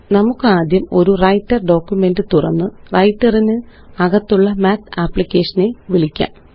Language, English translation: Malayalam, Let first open a Writer document and then call the Math application inside Writer